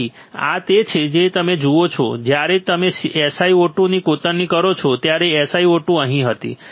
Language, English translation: Gujarati, So, this is what you see when you when you etch the etch SiO 2 right SiO 2 was here correct